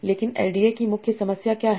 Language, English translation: Hindi, But what is the main problem of LDA